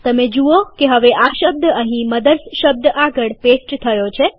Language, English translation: Gujarati, You see that the word is now pasted here next to the word MOTHERS